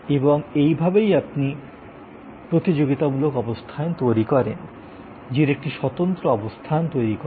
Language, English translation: Bengali, And this is the way you actually created competitive position, you create a distinctive position